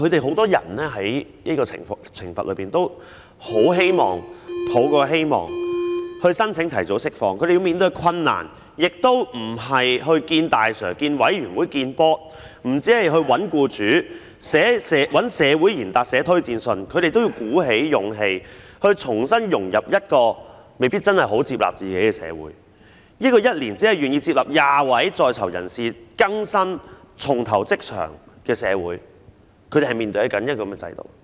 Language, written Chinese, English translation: Cantonese, 很多人在接受懲罰時也很希望申請提早釋放，但他們要面對的困難不僅是與"大 Sir"、委員會見面，亦不止是找僱主，找社會賢達寫推薦信，他們也要鼓起勇氣，重新融入一個未必很接納自己的社會——這個每年只願意接納20位在囚人士更生、重投職場的社會，他們是面對這樣的制度。, Many people wish to apply for early release during their sentence but the difficulty faced by them is not only meeting the senior officers and the Board . It is not only looking for employers and seeking prominent persons in society to write reference letters . They also have to pluck up their courage to reintegrate into a society which may not be very inclusive to them―each year this society is only willing to accept 20 prisoners to rehabilitate and rejoin the workforce